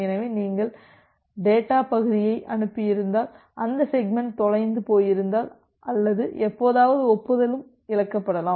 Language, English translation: Tamil, So, if you have transmitted data segment, if that segment is getting lost or sometime the acknowledgement can also get lost